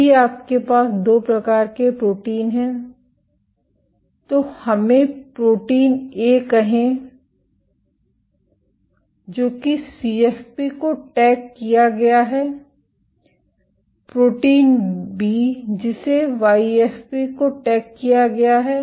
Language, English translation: Hindi, If you have 2 typed proteins let us say protein A which is tagged to CFP, protein B which is tagged to YFP